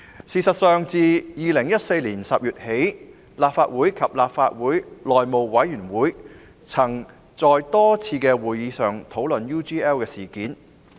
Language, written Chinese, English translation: Cantonese, 事實上，自2014年10月起，立法會及內務委員會曾在多次會議上討論 UGL 事件。, In fact since October 2014 the Legislative Council and the House Committee have discussed the UGL incident at a number of meetings